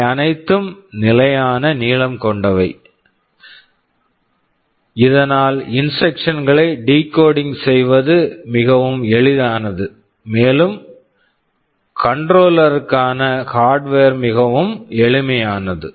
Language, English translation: Tamil, They are all of fixed length so that decoding of the instruction becomes very easy, and your the hardware for the controller becomes very simple ok